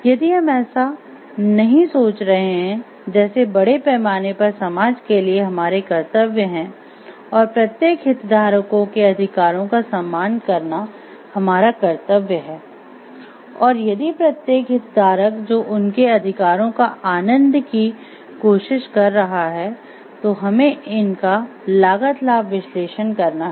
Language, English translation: Hindi, If not we are thinking of like we have duty to the society at large and we have the duty to respect the rights of each of the stakeholders and we have to do a cost benefit analysis of if each of the stakeholders are trying to enjoy their rights